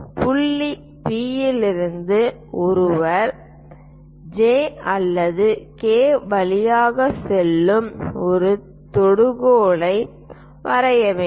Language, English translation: Tamil, From point P, one has to draw a tangent passing either through J or through K